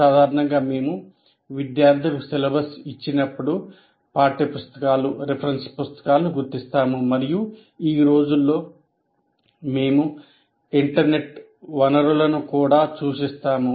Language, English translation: Telugu, Generally right in the beginning when we give the syllabus to the students, we identify text books, reference books, and these days we also refer to the internet sources